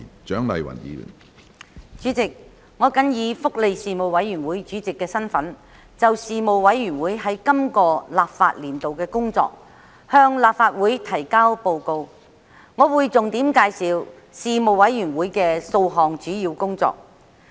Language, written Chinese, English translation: Cantonese, 主席，我謹以福利事務委員會主席的身份，就事務委員會在今個立法年度的工作，向立法會提交報告。我會重點介紹事務委員會數項主要工作。, President in my capacity as Chairman of the Panel on Welfare Services the Panel I submit to the Legislative Council the work report of the Panel for the current legislative session and will highlight its work in several key areas